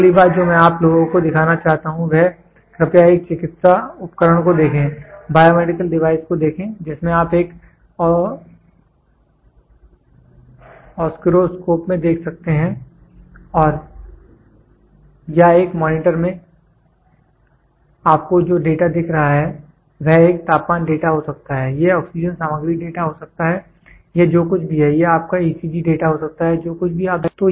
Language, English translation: Hindi, The next thing what I want you guys to look at it is please look at a medical device, biomedical device wherein which you can see in an Oscilloscope or in a monitor you see the data which is getting displayed this can be a temperature data, this can be the oxygen content data, this whatever it is this can be your ECG data, whatever it is you see look at it